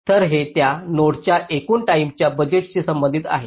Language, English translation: Marathi, so this corresponds to the total timing budget of that node